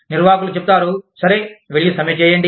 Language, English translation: Telugu, Management says, okay, go and strike